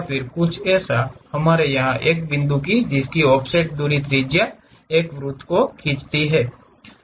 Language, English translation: Hindi, Something like, we have a point here with an offset distance as radius draw a circle